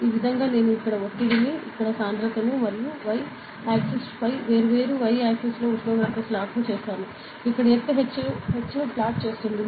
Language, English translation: Telugu, So, it is like ok; so, I will be plotting pressure here, density here, temperature here on the y axis in different y axis; it will be plotting altitude h on this thing